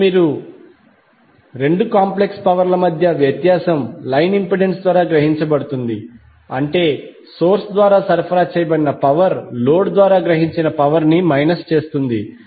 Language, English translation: Telugu, Now the difference between the two complex powers is absorbed by the line impedance that means the power supplied by the source minus the power absorbed by the load